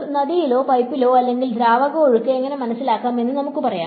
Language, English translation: Malayalam, Let us say in water in a river or in a pipe or whatever how is fluid flow understood